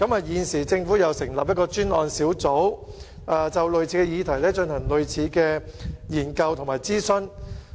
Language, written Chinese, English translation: Cantonese, 現在，政府又建議成立專責小組，就類似議題進行同類研究和諮詢。, The Government now proposes to set up a task force to conduct studies and consultation on similar issues once again